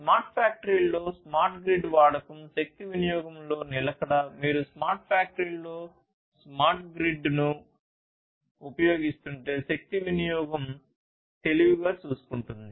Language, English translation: Telugu, Use of smart grid in smart factories, persistence in energy consumption; if you are using smart grid with smart factories, you know, energy consumption will be you know will be taken care of in a smarter way